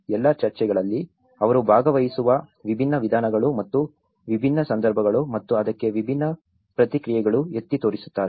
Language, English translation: Kannada, In all the discussions, they highlights on different modes of participation and different context and different responses to it